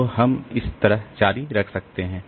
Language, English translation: Hindi, So, I can continue like this